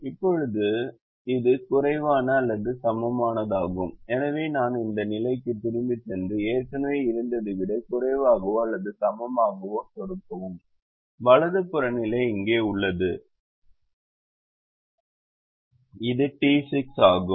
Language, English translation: Tamil, so i go back to this position and click the less than or equal to, which is already there, and the right hand side position is here which is d six